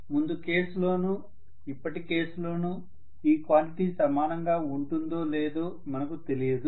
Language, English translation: Telugu, We do not know whether the quantity is the same in the previous case and this case